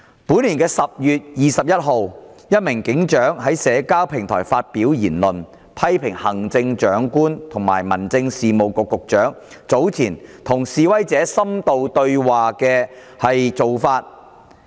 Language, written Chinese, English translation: Cantonese, 本年10月21日，一名警長在社交平台發表言論，批評行政長官和民政事務局局長早前與示威者深度對話的做法。, On 21 October this year a police sergeant made a remark on a social networking platform criticizing CE and the Secretary for Home Affairs for having had an in - depth dialogue with demonstrators earlier on